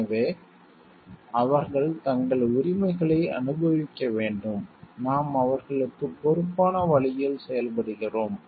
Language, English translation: Tamil, So, that they enjoy their rights, and we are acting in a responsible way towards them